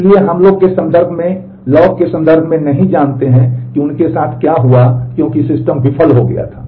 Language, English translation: Hindi, So, we do not know in terms of the log what would have happened to them because the system had failed